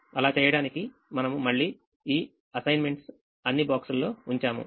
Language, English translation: Telugu, we again put all these assignments in the boxes